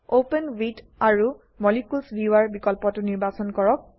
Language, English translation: Assamese, Select the option Open With Molecules viewer